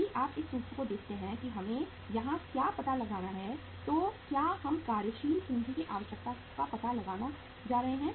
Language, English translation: Hindi, If you look at this formula uh what we have to find out here is we going to find out the working capital requirement